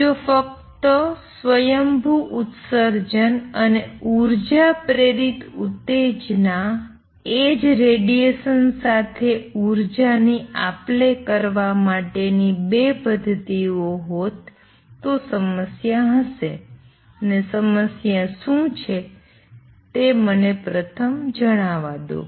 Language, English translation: Gujarati, If only spontaneous emission and energy induced excitation were the only 2 mechanisms to exchange energy with radiation there will be problem and what is the problem let me state that first